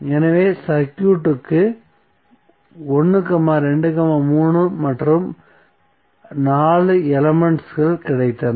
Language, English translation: Tamil, So we got 1, 2, 3 and 4 elements of the circuit